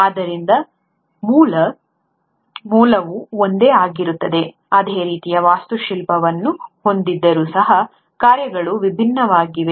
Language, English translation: Kannada, So, the basic origin was the same, yet the functionalities are different despite having similar architecture